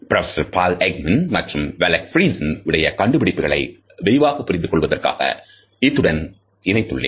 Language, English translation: Tamil, Now, for further elaboration I have included the findings of Professor Paul Ekman and Wallace Friesen for a more comprehensive explanation